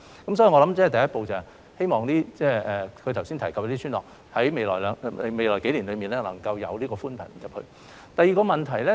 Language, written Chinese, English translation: Cantonese, 所以，我想第一步是，希望她剛才提及的村落在未來數年內可以有寬頻入村。, Thus I think the first step is for the villages just mentioned by her to have access to broadband services in the coming few years